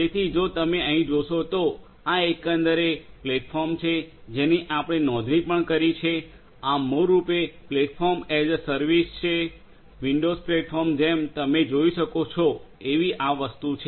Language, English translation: Gujarati, So, if you look over here this is this overall platform that we have also subscribe to, this is basically the Platform as a Service; windows platform as you can see and this is this thing and we also